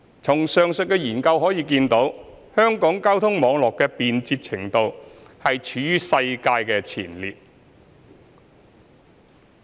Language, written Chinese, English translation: Cantonese, 從上述研究可見，香港交通網絡的便捷程度處於世界前列。, It is evident from the above mentioned study that the transport network of Hong Kong is among the most efficient and convenient in the world